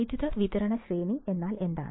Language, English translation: Malayalam, What is the power supply range